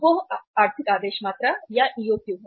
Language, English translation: Hindi, That is the economic order quantity